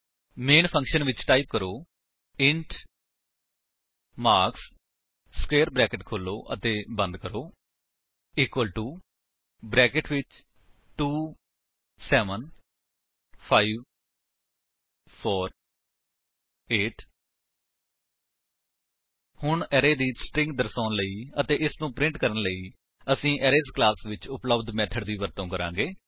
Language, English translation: Punjabi, Inside the main function, type: int marks open and close square brackets equal to within curly brackets 2, 7, 5, 4, 8 Now we shall use a method available in the Arrays class to get a string representation of the array and print it